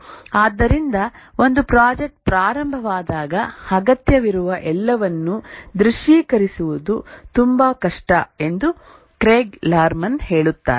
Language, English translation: Kannada, Craig Lerman says that when a project starts, it's very difficult to visualize all that is required